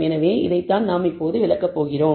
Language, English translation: Tamil, So, this is what we are going to illustrate